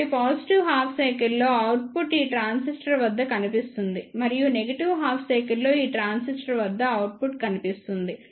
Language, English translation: Telugu, So, for the positive half cycle the output will appear through this transistor and for the negative half cycle the output will appear through this transistor